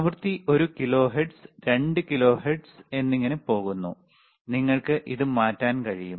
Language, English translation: Malayalam, The frequency is how much is one kilohertz, 2 kilohertz and so on and so forth, you can change it